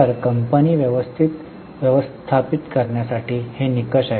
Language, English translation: Marathi, So, these are the norms for managing the company